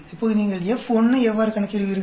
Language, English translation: Tamil, Now, how do you calculate F1